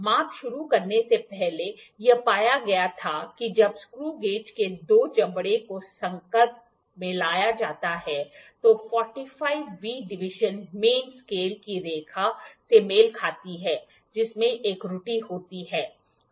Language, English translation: Hindi, Before starting the measurement it was found that when the two jaws of the screw gauge are brought in contact the 45th division coincides with the main scale line there is an error